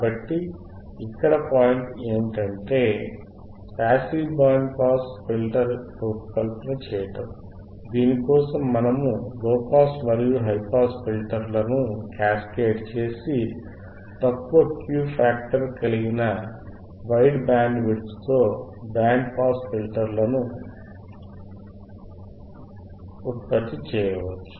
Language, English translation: Telugu, So, the point is for designing a passive band pass filter, passive band pass filter, for which we can cascade the individual low and high pass filters and produces a low Q factor typical type of filter circuit which has a wideband pass, which has a wide pass